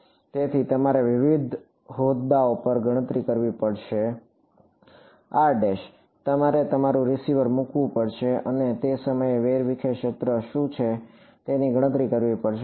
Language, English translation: Gujarati, So, you have to calculate at various several different positions r prime you have to put your receiver and calculate what is the scattered field at that point